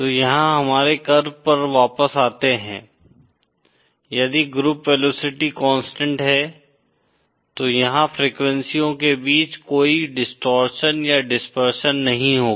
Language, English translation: Hindi, So coming back to our curve here, if the group velocity is constant, then there will be no distortion or dispersion between frequencies